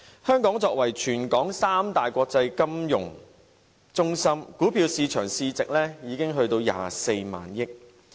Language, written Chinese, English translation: Cantonese, 香港作為全球三大國際金融中心之一，股票市場市值已達到24萬億元。, Hong Kong is one of the three major international financial centres in the world and the market capitalization of its stock market already amounts to 24,000 billion